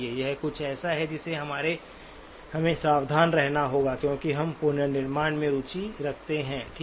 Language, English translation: Hindi, This is something that we have to be careful because we are interested in reconstruction, okay